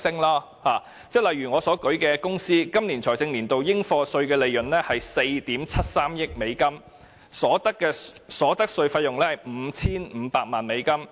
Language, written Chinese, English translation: Cantonese, 例如在我例子中的公司，它今個財政年度的應課稅利潤為4億 7,300 萬美元，所得稅費用為 5,500 萬美元。, In the case of the company I have talked about the profits chargeable to tax in this fiscal year are US473 million and the cost of corporate income tax is US55 million